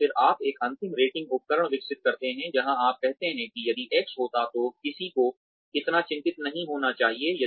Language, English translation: Hindi, And, then you develop a final rating instrument, where you say that, if X happens, one should not be so worried